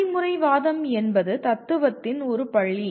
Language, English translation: Tamil, What does pragmatism is one school of philosophy